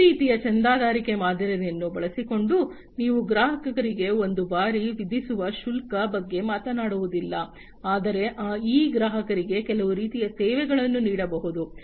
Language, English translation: Kannada, So, using this kind of subscription model, you are not talking about is one time kind of charge to the customers, but these customers can be offered some kind of services